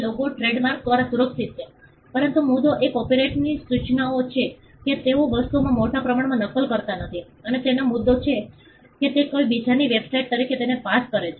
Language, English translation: Gujarati, Logo is protected by trademark, but the point is the copyright notices, that people do not and mass copy things and put it and pass it off as somebody else’s website